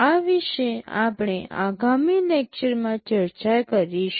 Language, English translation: Gujarati, This we shall be discussing in the next lecture